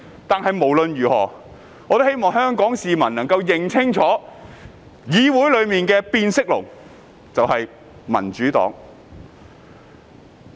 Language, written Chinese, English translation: Cantonese, 但無論如何，我希望香港市民能夠認清楚，議會內的變色龍就是民主黨。, Nonetheless I hope Hong Kong people will realize that the Democratic Party is the chameleon in the Council